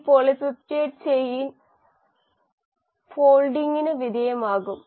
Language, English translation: Malayalam, This polypeptide chain will undergo foldin